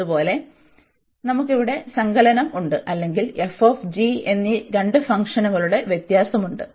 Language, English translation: Malayalam, Similarly, we have the addition here or the difference of the two functions f and g